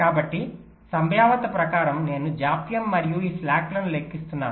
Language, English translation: Telugu, so probabilistically i am calculating the delays and these slacks